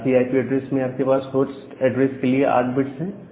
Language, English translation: Hindi, For a class C IP address, you have 8 bits in host